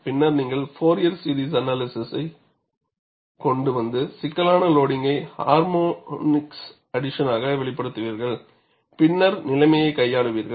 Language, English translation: Tamil, Later on, we will bring in Fourier series analysis and express the complicated loading as addition of harmonics and then handle the situation